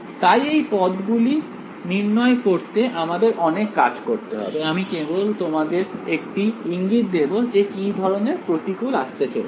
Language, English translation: Bengali, There is a lot of a work that will go into evaluating these terms, I will give you just 1 hint, what the challenge will be